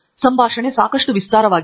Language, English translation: Kannada, here the dialog is fairly elaborate